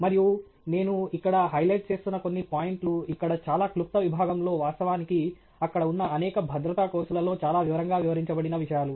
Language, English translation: Telugu, And some of the points that I am highlighting, in this very brief section here, are actually points that are elaborated upon in great detail in the many of the safety courses that are there